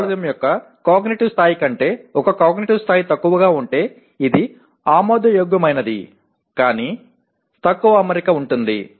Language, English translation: Telugu, If it is one cognitive level lower than the cognitive level of the course outcome it is acceptable but less alignment